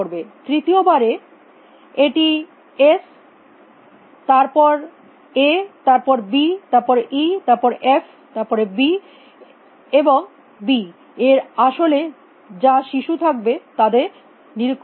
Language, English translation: Bengali, In the third round it will inspect them in s then a then d then e then f then b and then whatever the child of b is actually